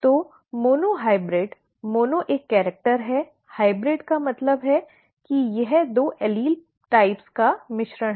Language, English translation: Hindi, So monohybrid, mono is one character, hybrid means it is a mixture of two allele types